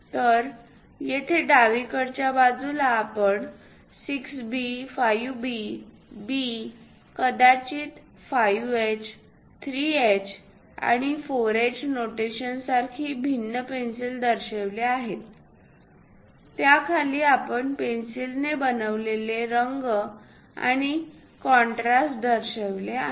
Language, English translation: Marathi, So, here on the left hand side, we have shown different pencils like 6B, 5B, B, maybe 5H, 3H, and 4H notations; below that we have shown the color made by the pencil, the contrast made by that pencil